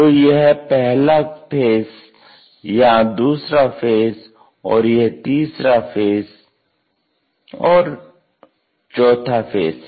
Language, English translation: Hindi, So, this is the first face, second one and third and forth faces